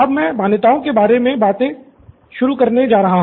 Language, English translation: Hindi, So I will start with stating the assumptions